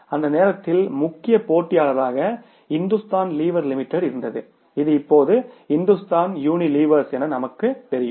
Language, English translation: Tamil, At that time their major competitor was Hindustan Liver Limited which now these nowadays we know the company as Hindustan Unilever Achuilh